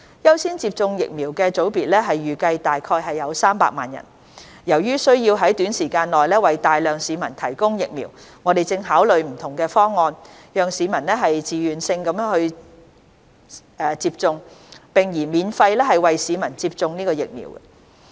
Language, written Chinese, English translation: Cantonese, 優先接種疫苗的組別預計約300萬人，由於需要在短時間內為大量市民提供疫苗，我們正考慮不同的方案，讓市民以自願性質接種，並擬免費為市民接種疫苗。, The priority groups for vaccination is expected to be around 3 million people . In view that we need to provide vaccination for a large population within a short period of time we are considering various solutions . We will enable members of the public to be vaccinated on a voluntary basis and propose to provide the vaccination free of charge